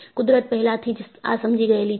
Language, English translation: Gujarati, Nature has already understood this